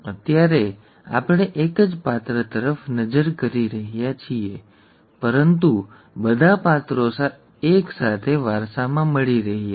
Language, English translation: Gujarati, Right now we are looking at only one character, but all characters are being inherited simultaneously